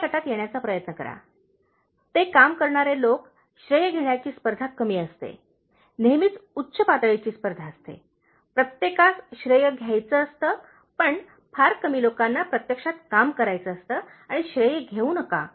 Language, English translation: Marathi, Try to be in the first group, that is people who do the work, there is less competition for taking credit, there is always high level of competition, everybody wants to take the credit but, very few people actually want to do the work and not take the credit